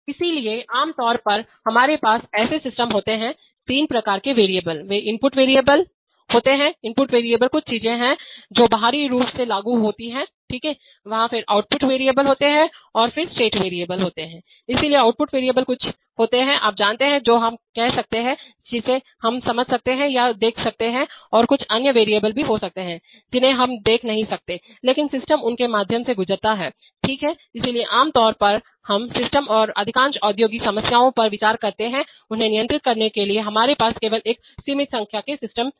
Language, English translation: Hindi, So typically we have in such systems, three kinds of variables, they are the input variables, input variables are some things which are applied externally, okay, there, then there are output variables and then there are state variables, so output variables are something, you know, which we, which we can say which we can maybe sense or see and there may be some other variables which we cannot see but the, but the system goes through them okay, so typically we consider systems and in most of industrial control problems we have, we have only a finite number of system states